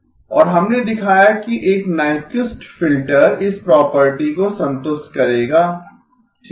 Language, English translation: Hindi, And it is we showed that a Nyquist filter will satisfy this property okay